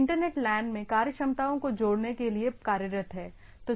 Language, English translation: Hindi, They are employed to add functionality to the Internet LAN